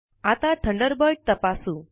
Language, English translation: Marathi, Lets check Thunderbird now